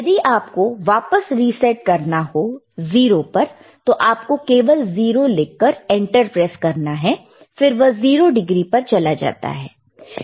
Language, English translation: Hindi, Suppose you want to reset it back to 0, then you can just write 0, 0, and you can again press enter, and it goes to 0 degree